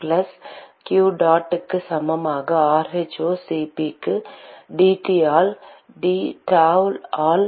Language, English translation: Tamil, plus q dot equal to rho Cp into dT by dTau by